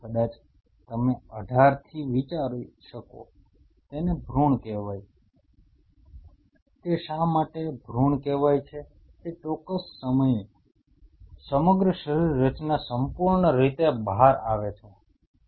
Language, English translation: Gujarati, Maybe you can consider from 18 they it is called a fetus it is, why it is called a fetus is at that particular time the whole anatomical features comes out perfect